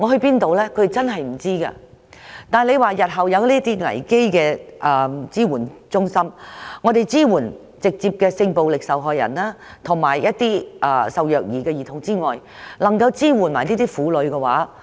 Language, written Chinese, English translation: Cantonese, 如果日後設立這類危機支援中心，我們除了可以直接支援性暴力受害人及受虐兒童外，也可一併支援這些婦女。, She was completely at a loss . If this kind of crisis support centres can be set up in future direct assistance can be given to not only sexual violence victims and abused children but also to these women